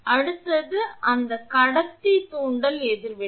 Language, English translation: Tamil, Next one is that conductor inductive reactance